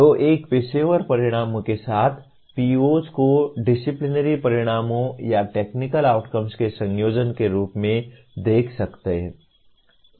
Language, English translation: Hindi, So one can see the POs as a combination of disciplinary outcomes or technical outcomes along with professional outcomes